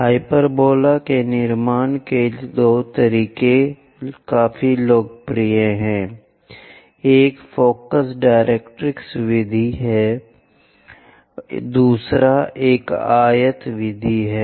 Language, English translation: Hindi, There are two methods quite popular for constructing hyperbola; one is focus directrix method, other one is rectangle method